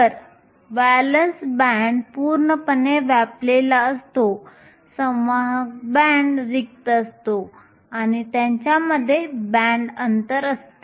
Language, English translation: Marathi, So, the valence band is completely full the conduction band is empty and there is a band gap between them